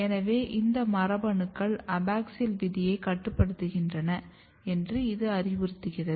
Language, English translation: Tamil, So, this suggest that these genes might be regulating abaxial fate